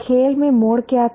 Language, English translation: Hindi, What was the turning point in the game